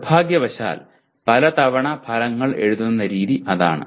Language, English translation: Malayalam, But that is the way unfortunately many times the outcomes are written